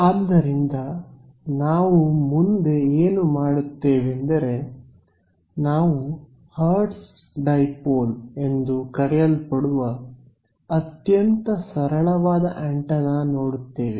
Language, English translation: Kannada, So, we will have a look at this simplest antenna which is your Hertz dipole ok